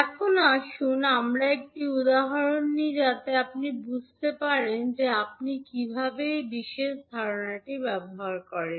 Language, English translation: Bengali, Now let us take one example so that you can understand how will you utilise this particular concept